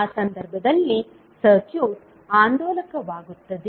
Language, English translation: Kannada, In that case the circuit will become oscillatory